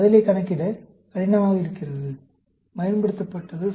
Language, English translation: Tamil, Used when the response is difficult to quantify